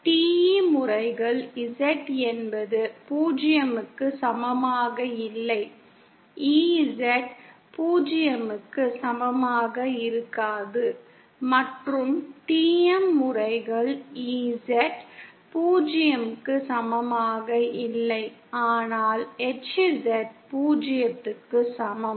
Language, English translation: Tamil, TE modes are where Z is not equal to 0, EZ equal to 0, and TM modes are where EZ is not equal to 0, but HZ equal to 0